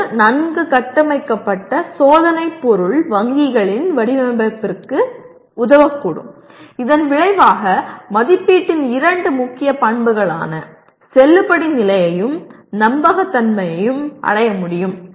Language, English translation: Tamil, It can help in the design of well structured test item banks and consequently the validity and reliability, two important properties of assessment can be achieved